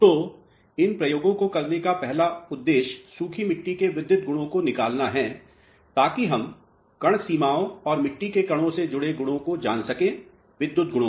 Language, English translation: Hindi, So, the first intention of doing these experiments is to determine electrical properties of the dry soils, so that we know the properties associated with grain boundaries and the grains of the soil mass, electrical properties